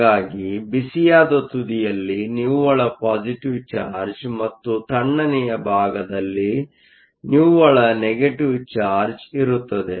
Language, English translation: Kannada, So, that there will be a net positive charge on the hot side and net negative charge on the cold side